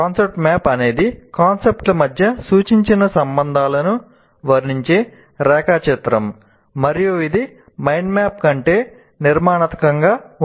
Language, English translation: Telugu, The concept map is a diagram that depicts suggested relations between concepts and it is more structured than a mind map